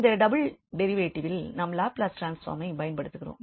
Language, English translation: Tamil, So, that will be the product of the Laplace transform